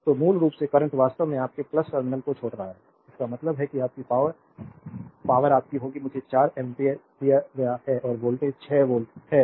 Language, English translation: Hindi, So, basically the current actually leaving the your plus terminal; that means, your power, power will be your I is given 4 ampere and voltage is 6 volt